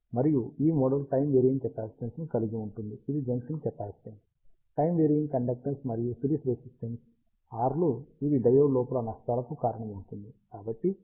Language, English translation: Telugu, And this model contains a time varying capacitance, which is the junction capacitance, a time varying conductance, and series resistance R s which accounts for the losses inside the diode